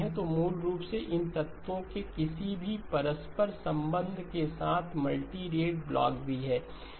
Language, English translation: Hindi, So basically any interconnection of these 3 elements along with the multirate blocks